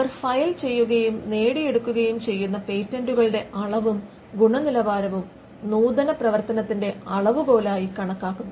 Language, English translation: Malayalam, The quantity and quality of patents they file for and obtain are considered as the measure of innovative activity